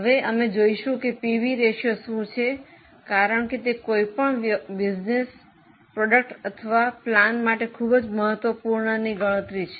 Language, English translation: Gujarati, We will just have a look at what is PV ratio because it is a very important calculation for any business, for any product or for any particular plant